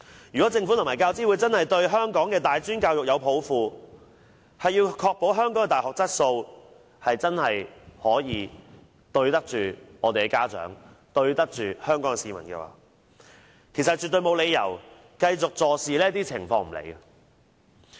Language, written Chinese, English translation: Cantonese, 如果政府和教資會真的對香港的大專教育有抱負，要確保香港的大學質素，對得住家長和香港市民，絕對沒有理由繼續對這些情況坐視不理。, If the Government and UGC truly have a vision of tertiary education in Hong Kong and want to ensure the quality of our universities and act responsibly to parents and Hong Kong citizens they absolutely should not continue to turn a blind eye to the situation